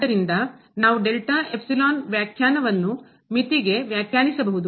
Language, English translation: Kannada, So, we can define delta epsilon definition as for the limit